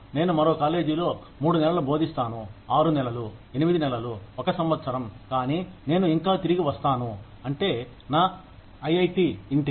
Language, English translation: Telugu, I will teach in another college for three month, six month, eight months, one year, but I will still come back, to my home, which is IIT